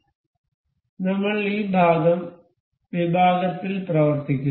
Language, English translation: Malayalam, We have been working on this part section